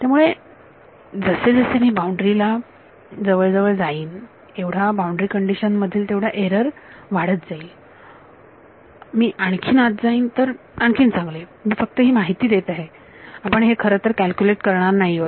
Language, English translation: Marathi, So, the error of the boundary condition grows as I get closer and closer to the boundary as I move further inside gets better I am just giving you a giving information we will not actually calculate it